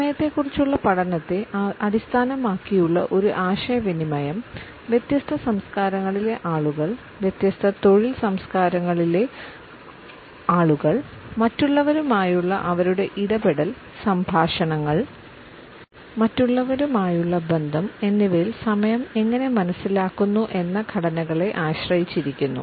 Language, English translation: Malayalam, A communication based a study of time is dependent on how people in different cultures in different work cultures perceive and structure time in their interactions with other in their dialogues as well as in their relationships with others